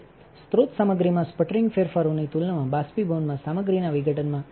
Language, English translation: Gujarati, In sputtering decomposition of material is high in evaporation compared to sputtering changes in source material